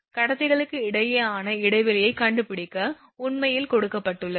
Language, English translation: Tamil, That that has been asked actually to find the spacing between the conductors